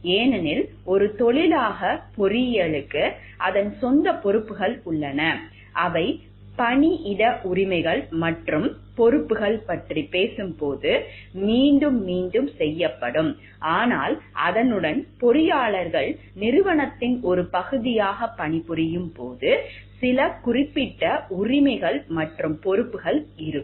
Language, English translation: Tamil, Because engineering as a profession has its own responsibilities which will also get repeated when we are talking of workplace rights and responsibilities, but along with that there are other certain specific rights and responsibilities that the engineers have, when they are as a working as a part of organization